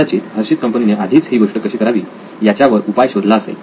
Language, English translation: Marathi, Probably Hershey’s is already figured out how to do this